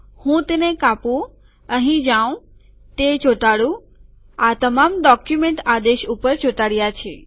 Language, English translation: Gujarati, Let me cut it, go here, paste it, all of these are pasted above the document command